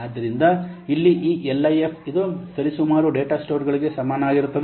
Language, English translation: Kannada, So here this LIF, this equates roughly, this is equivalent to the data stores